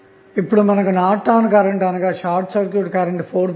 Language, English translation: Telugu, So, now you got Norton's current that is the short circuit current as 4